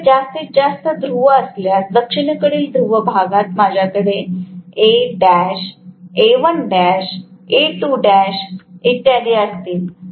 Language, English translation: Marathi, If I have more and more number of poles, correspondingly for the South Pole I will have A dash, A1 dash, A2 dash and so on and so forth